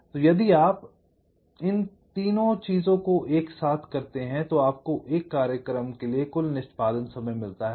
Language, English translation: Hindi, so if you multiple this three thing together, you get the total execution time for a program